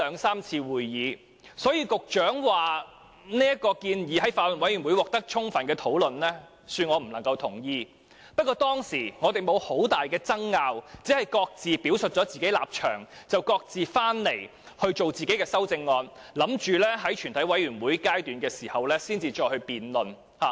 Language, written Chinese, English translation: Cantonese, 所以，局長說這項建議在法案委員會已獲得充分討論，恕我無法認同，但我們當時確實沒有太大爭拗，只各自表述了立場，然後各自草擬自己的修正案，打算於全體委員會審議階段才再進行辯論。, Hence I am afraid I cannot agree with the Secretarys remark that this proposal has been fully discussed in the Bills Committee . However at that time we really did not have too many arguments . We just stated our respective stances